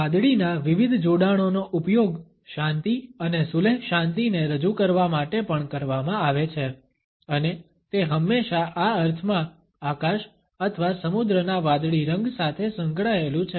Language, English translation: Gujarati, Different associations of blue have also been used to represent peace and tranquility and it is always associated with the blue of the sky or the sea in this sense